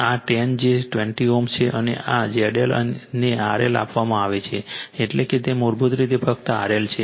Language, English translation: Gujarati, This is 10 j 20 ohm, and this is Z L is given R L that means, it is basically simply R L right